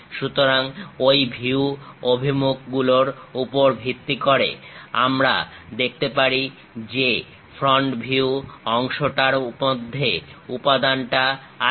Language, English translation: Bengali, So, based on those view directions, we can see that the front view portion have that material element